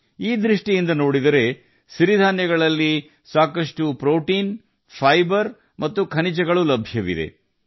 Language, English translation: Kannada, Even if you look at it this way, millets contain plenty of protein, fiber, and minerals